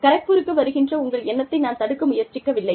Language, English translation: Tamil, I am not trying to discourage you, from coming to Kharagpur